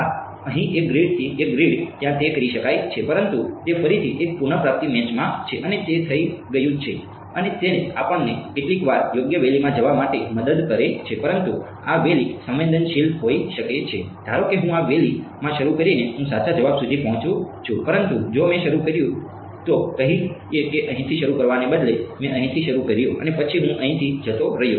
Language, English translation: Gujarati, Yeah, one grid here to one grid there it can be done, but that is again in one retrieve match to do it and that is done and that is helps us sometimes to get into the right valley, but these valleys can be sensitive supposing I started in this valley I reach the correct answer, but if I started let us say instead of starting here I started over here and then I move my go here